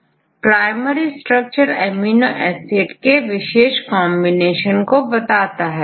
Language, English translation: Hindi, So, the primary structure gives the linear sequence of amino acid residues